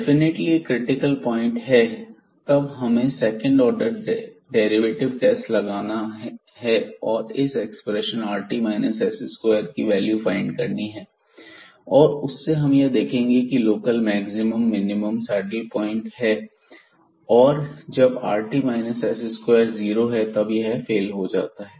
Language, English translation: Hindi, So, definitely this is a critical point and then we discuss with the help of the second order test here, mainly this rt minus s square the value of this expression we can find out whether it is a point of local maximum minimum saddle point and in this situation when rt minus s square is 0 this just fails